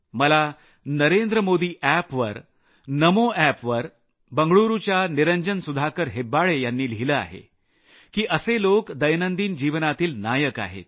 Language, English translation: Marathi, On the Narendra Modi app, the Namo app, Niranjan Sudhaakar Hebbaale of BengaLuuru has written, that such people are daily life heroes